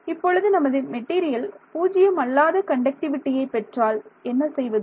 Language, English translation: Tamil, Now, what if my material also has non zero conductivity